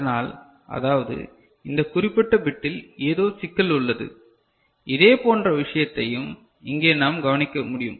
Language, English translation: Tamil, So; that means, there is some issue with this particular bit ok, similar thing we can observe over here also